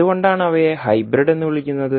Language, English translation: Malayalam, So why they are called is hybrid